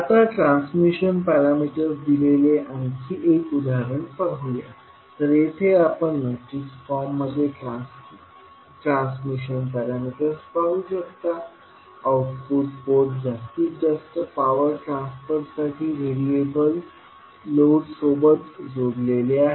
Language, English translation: Marathi, Now, let us see another example where the transmission parameters are given, so here you see the transition parameters in the matrix form, the output port is connected to a variable load for maximum power transfer